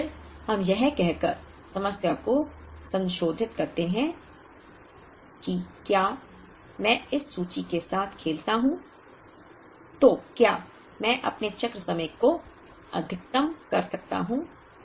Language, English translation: Hindi, And then, we modify the problem by saying if I play around with this inventory, can I maximize my cycle time further